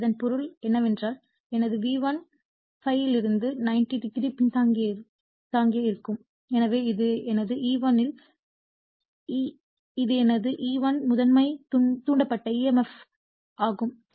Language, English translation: Tamil, So, that means, my V1 will be your what you call lagging from ∅ / 90 degree therefore, this is my E1 this is my E1 the primary induced emf